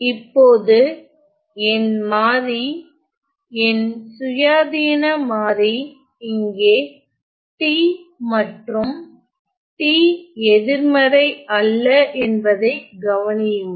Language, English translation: Tamil, Now, notice that my variable my independent variable here is the t and the t is non negative